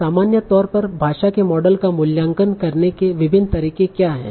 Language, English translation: Hindi, So in general, what are the different ways in which language models can be evaluated